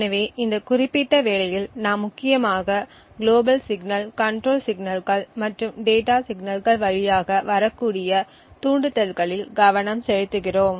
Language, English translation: Tamil, So, in this particular work we focus mainly on the triggers that could come through the global signals the control signals and the data signals